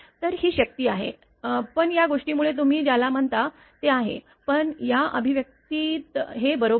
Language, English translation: Marathi, So, this is the power, but because of this thing you are what you call, but in this expression this is the derivative this is correct